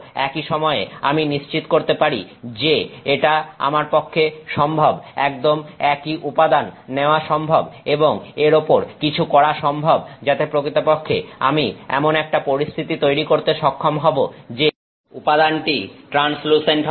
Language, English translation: Bengali, At the same time I can assert that it is possible for me to take the exact same material and do something to it which enables me to create a situation where in fact the material is translucent